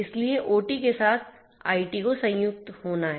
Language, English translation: Hindi, So, the convergence of IT with OT has to happen